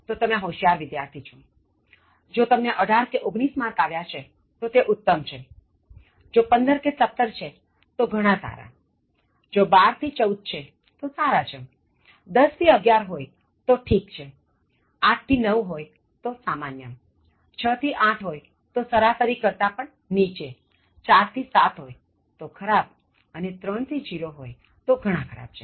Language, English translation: Gujarati, And then, let us check your score, as in the previous case, if you are 20: you are Outstanding, if you have got 18 or 19: Excellent score, if it is 15 to 17: Very Good, if it is 12 to 14: Good 10 to 11: is Fair, 8 to 9: is Average, 6 to 8: is Below Average, 4 to 7: is Poor and 0 to 3 is Very Poor